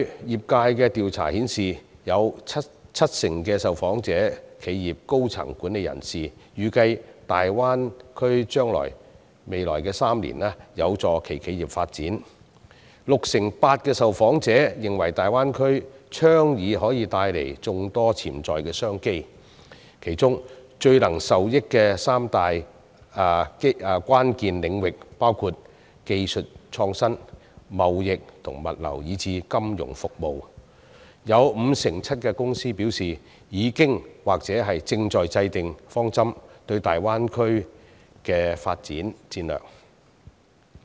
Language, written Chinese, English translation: Cantonese, 業界的調查顯示，有七成受訪企業的高層管理人士預計大灣區將在未來3年有助其企業發展 ；68% 受訪者認為大灣區的倡議可帶來眾多潛在商機，其中最能受益的三大關鍵領域包括技術創新、貿易及物流以至金融服務；有 57% 受訪公司則表示已經或正在制訂大灣區的發展戰略、方針。, Sixty - eight percent of the respondents considered that the proposal to develop the Greater Bay Area can bring us many potential business opportunities . Technological innovation trading and logistics as well as financial services are the three crucial areas which would be most benefited . Fifty - seven percent of the responding companies indicate that they have already formulated or are working on their development strategies and policies for the Greater Bay Area